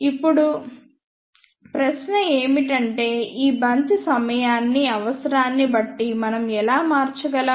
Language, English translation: Telugu, Now, the question is how we can change this bunching time depending upon the requirements